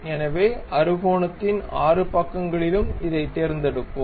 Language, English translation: Tamil, So, let us pick this one, this one, all the 6 sides of hexagon